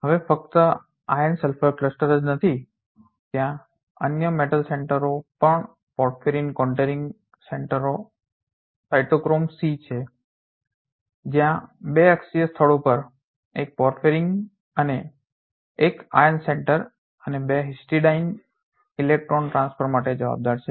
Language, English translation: Gujarati, Now, not only iron sulfur cluster there are other metal center even the porphyrin contouring center cytochrome C where one porphyrin ring and 1 iron center and 2 histidine on the two axial sites are responsible for the electron transfer